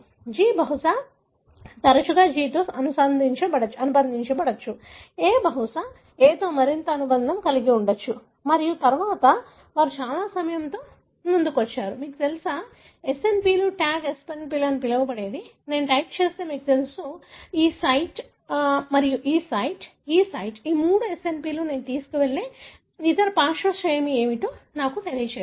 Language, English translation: Telugu, G probably more often associate with G, A probably more associate with A and so on and then, they came up with some very informative, you know, SNPs like what is called as Tag SNPs, which if I type, you know, I type this site, this site and this site, these three SNPs would tell me what are the other flanking sequence likely that I am to carry